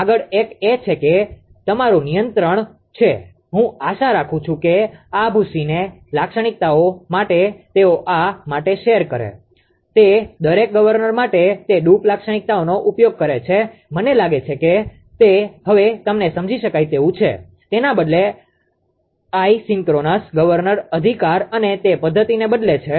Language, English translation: Gujarati, Next one is that you have contro; I hope this droop characteristic why why do they why do they use that droop characteristic for each governor I think it is it is now understandable understandable to you, instead of instead of isochronous governor right and those mechanism